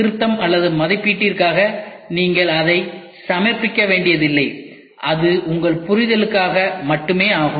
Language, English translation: Tamil, You do not have to submit it for correction or evaluation it is only for your understanding